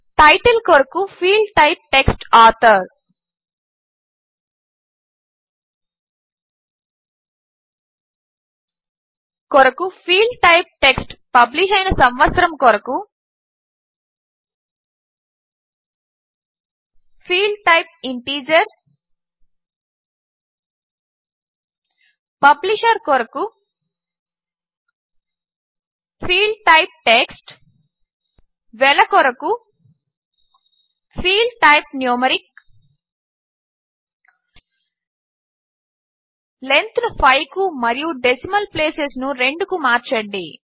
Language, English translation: Telugu, Title, Field type Text, Author Field type Text, Published Year Field type Integer Publisher Field type Text Price Field type Numeric Change the Length to 5 and Decimal places to 2